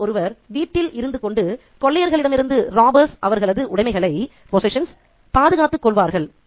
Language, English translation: Tamil, Here it says that one of them would stay behind to guard the house and their possessions from robbers